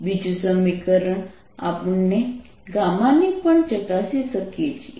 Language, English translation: Gujarati, now we can solve this equation